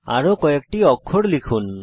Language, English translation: Bengali, Lets type a few more letters